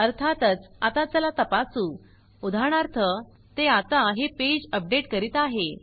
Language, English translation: Marathi, Now lets and also of course lets just check, for example it is now updating this page